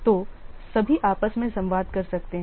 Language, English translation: Hindi, So all can communicate among themselves